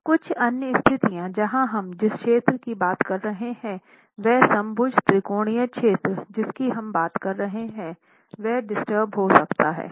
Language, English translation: Hindi, Some other conditions where the region that we are talking of, the equilateral triangular region that we are talking of, can get disturbed